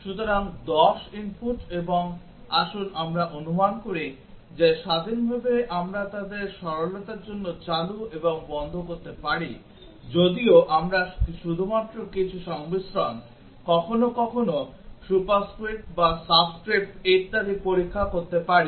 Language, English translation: Bengali, So, 10 input and let us assume that independently we can check them on and off for simplicity even though we can check only some combinations sometimes either a superscript or subscript and so on